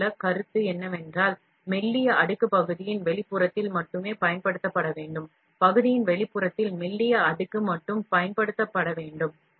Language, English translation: Tamil, The concept here is that the thin layer only needs to be used on the exterior of the part, thin layer on the exterior of the part